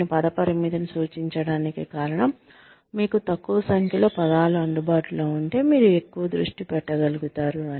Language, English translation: Telugu, The reason, I am suggesting a word limit is that, you will be able to focus more, if you have a fewer number of words, available to you